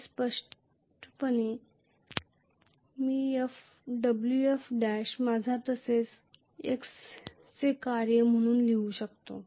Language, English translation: Marathi, Very clearly I can write Wf dash as a function of i as well as x